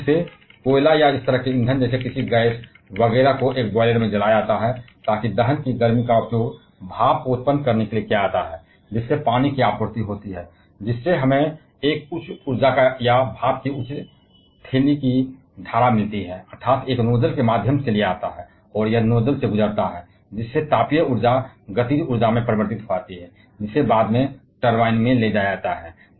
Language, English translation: Hindi, Basically, coal or such kind of fuel like any gas, etcetera is burnt in a boiler so that the heat of combustion is used to generate steam by supplying that to water we get a high energy or high enthalpy stream of steam; that is, taken through a nozzle and it pass through the nozzle the thermal energy is converted to kinetic energy which is subsequently taken into the turbine